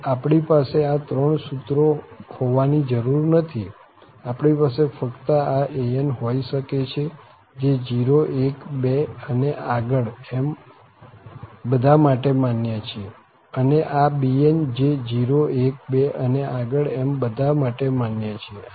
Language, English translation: Gujarati, So, we do not have to have these three formulas, we can have just this an which is valid for 0, 1, 2, and so on, and this bn which is valid for 1, 2, 3, and so on